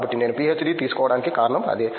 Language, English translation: Telugu, So, that was the reason I took a PhD